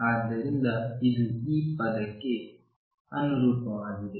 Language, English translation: Kannada, So, this correspond to this term